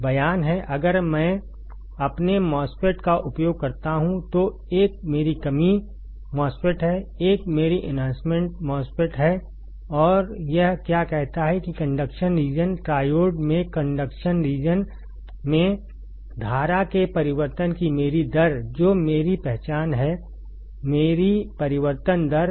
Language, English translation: Hindi, The statement is if I use my MOSFET, 1 is my depletion MOSFET; 1 is my enhancement MOSFET and what it says that in conduction region triode, in conduction region my rate of change of current that is my I D that is my rate of change